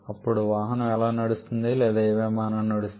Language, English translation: Telugu, Then how the vehicle is running or how your aircraft is running